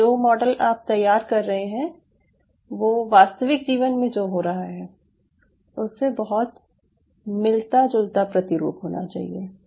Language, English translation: Hindi, so you model system should be able to be as close as possible to the replica of what is happening in the real life